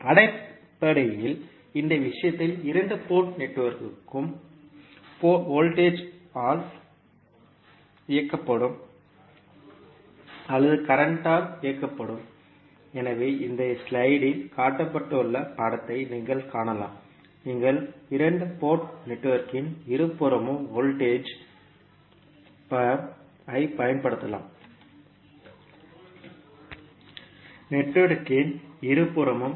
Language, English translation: Tamil, So basically the two port network in this case also can be the voltage driven or current driven, so you can see the figure shown in this slide that you can either apply voltage at both side of the two port network or you can apply current source at both side of the network